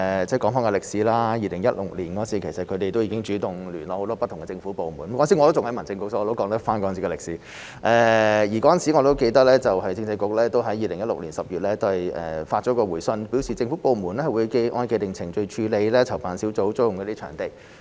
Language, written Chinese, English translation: Cantonese, 說回歷史 ，2016 年他們已經主動聯絡很多不同的政府部門——當時我仍然任職民政事務局，所以我可以說出當時的歷史——而我記得當時政制及內地事務局在2016年10月發出回信，表示政府部門會按照既定程序處理籌辦小組租用場地。, The organizer took the initiative to contact many government departments in 2016―I worked for the Home Affairs Bureau back then so I can recap the history―as I remember the Constitutional and Mainland Affairs Bureau issued a reply in October 2016 stating that government departments would process venue bookings by the organizer according to the established procedures